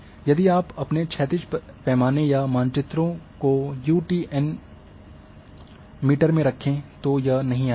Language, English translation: Hindi, If you are having your horizontal scale or maps say in UTN in meters then this will not come